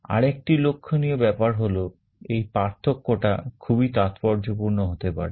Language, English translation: Bengali, And the other point to note is that the difference can be quite significant